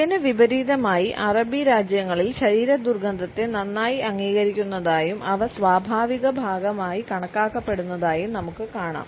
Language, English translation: Malayalam, In contrast we find in that in Arabic countries there is a better acceptance of body odors and they are considered to be natural part